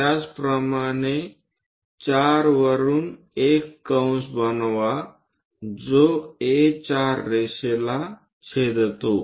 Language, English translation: Marathi, Similarly, from 4 draw an arc which goes intersect A4 line